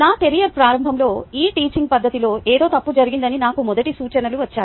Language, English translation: Telugu, early in my career i received the first hints that something was wrong with teaching in this manner, but i had ignored it